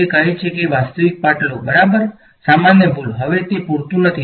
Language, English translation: Gujarati, She says take the real part ok, common mistake; now that is not enough